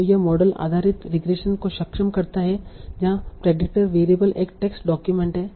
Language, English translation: Hindi, So it enables model based regression where the predictor variable is a tax document